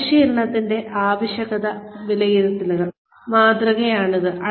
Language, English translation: Malayalam, This is the training needs assessment model